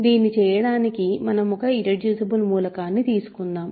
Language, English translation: Telugu, So, in order to do this, let us take an irreducible element